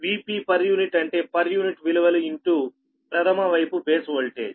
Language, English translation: Telugu, v p per unit means this is a per unit values into primary side base voltage right